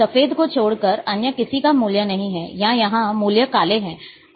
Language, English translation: Hindi, There are no other values except the say white, or here the values are black